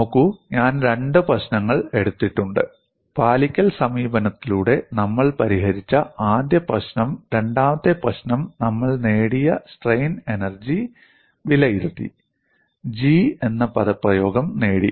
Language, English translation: Malayalam, See, I have taken 2 problems: the first problem we solved by the compliance approach; the second problem we evaluated the strain energy and obtained the expression for G